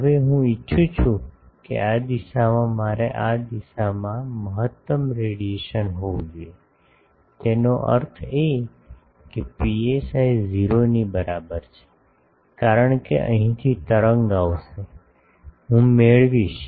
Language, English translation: Gujarati, Now, I want that in this direction, I should have maximum radiation, in this direction; that means, that psi is equal to 0, because wave will come from here, I will get it